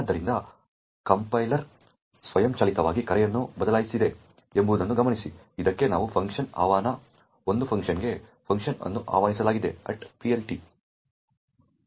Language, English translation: Kannada, So, note that the compiler has automatically changed a call, a function invocation to this, to a function, the function invocation at PLT